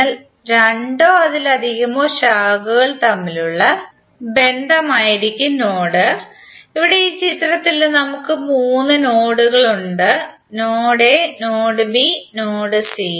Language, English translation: Malayalam, So node will be the connection between the two or more branches, Here in this figure we have three nodes, node a, node b and node c